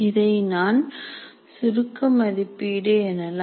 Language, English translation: Tamil, That is summative valuation